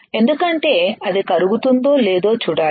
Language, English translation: Telugu, Because we are to see whether it is melting or not